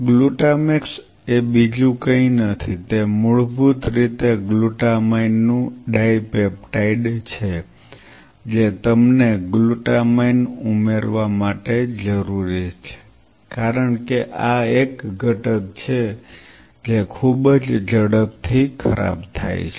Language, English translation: Gujarati, Glutamax is nothing it is basically a dipeptide of glutamine you needed to add glutamine because this is one component which goes bad very fast